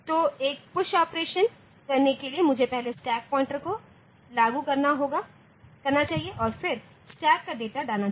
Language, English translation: Hindi, So, in that case for doing a push operation I should first implement the stack pointer and then put the data on to the stack